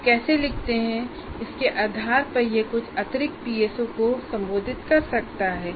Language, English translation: Hindi, Depending on how you write, it may address maybe additional PSOs